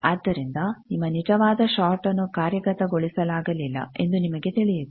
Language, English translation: Kannada, So, then you know that your actual short is not implemented